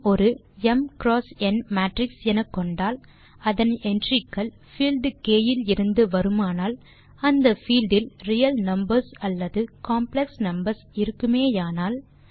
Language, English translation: Tamil, Suppose M is an m in matrix, whose entries come from the field K, which is either the field of real numbers or the field of complex numbers